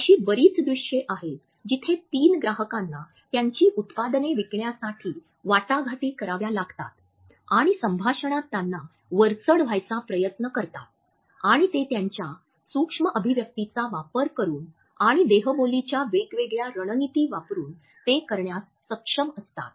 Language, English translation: Marathi, There are lot of scenes where three clients have to negotiate and sell their products or they try to get an upper hand in a conversation and they are able to do it using their micro expressions and using different strategies of body language